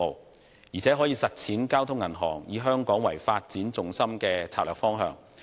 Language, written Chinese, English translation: Cantonese, 再者，有關合併可以幫助交通銀行實踐以香港為發展重心的策略方向。, The merger will also help implement the strategy of Bank of Communications to make Hong Kong its focus of development